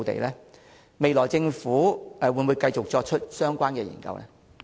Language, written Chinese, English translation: Cantonese, 政府未來會否繼續進行相關研究？, Will the Government continue to undertake the relevant studies in the future?